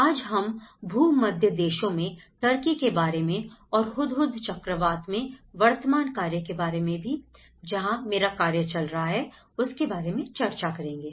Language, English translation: Hindi, So, today we will be covering about places in Turkey in the Mediterranean countries and also the recent Hudhud cyclone which my present work is also going on